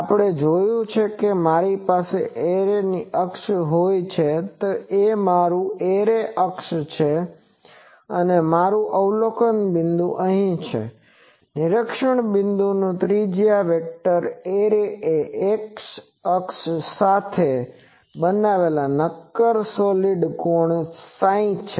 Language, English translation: Gujarati, The significance of psi, we have seen that if I have an array axis, this is my array axis, and my observation point is here, the solid angle that the observation points radius vector makes with the array axis is psi angle psi that was our thing